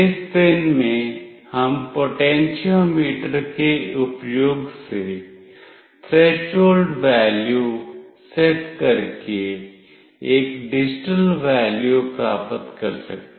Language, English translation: Hindi, In this pin, we can get a digital value by setting the threshold value using the potentiometer